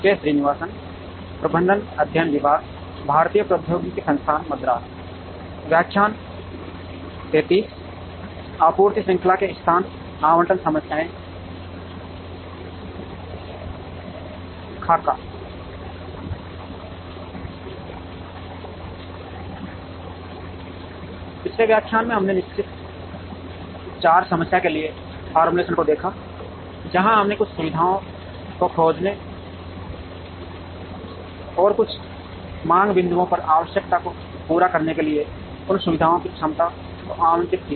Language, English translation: Hindi, In the previous lecture, we saw the formulations for the fixed charge problem, where we looked at locating certain facilities and allocating the capacity of those facilities, to meet the requirement at some demand points